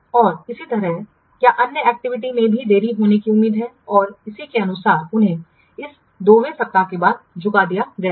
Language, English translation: Hindi, And similarly what other activities also they are expected to be delayed and accordingly he had made them as a banded after this second week